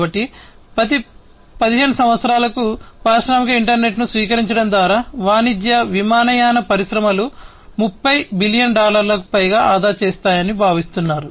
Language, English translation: Telugu, So, in every 15 years it is expected that the commercial aviation industries through the adoption of industrial internet, we will save over 30 billion dollars